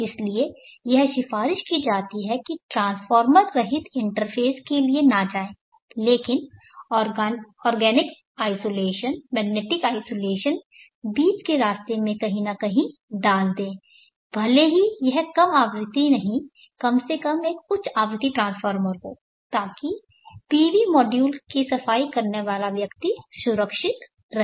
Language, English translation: Hindi, Therefore, it is recommended not to go in for a transformer less interface, but to put the organic isolation, magnetic isolation somewhere in the path in between even if it is not a low frequency at least a high frequency transformer so that the person cleaning the PV module is protected